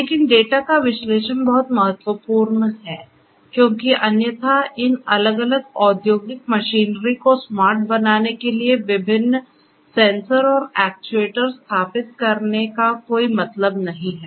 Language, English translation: Hindi, But, the analysis of the data is very important because otherwise there is no point in installing different sensors and actuators to make these different industrial machinery smarter